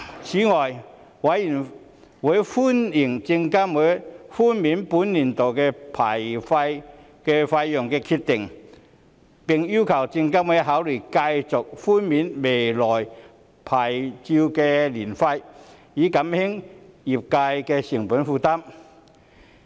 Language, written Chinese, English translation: Cantonese, 此外，委員歡迎證監會寬免本年度的牌照年費的決定，並要求證監會考慮繼續寬免來年的牌照年費，以減輕證券業界的成本負擔。, In addition members welcomed SFCs decision to waive the annual licensing fees for the current year and called on SFC to consider continuing the licensing fee waiver in the coming year in order to alleviate the cost burden of brokerage firms